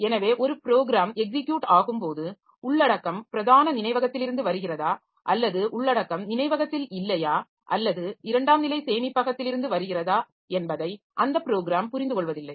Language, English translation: Tamil, So, when a program is executing, so it is not understanding whether the program is the content is coming from main memory or the content was not there in memory, it is coming from the secondary storage